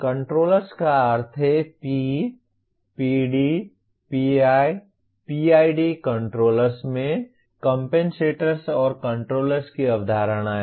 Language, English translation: Hindi, Controllers means P, PD, PI, PID controllers have the concepts of compensators and controllers